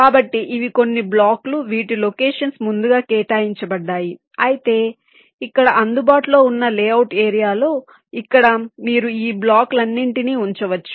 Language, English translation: Telugu, so these are some blocks whose positions are pre assigned, but within the layout layout area that is available to it in between here, within here, you can place all your blocks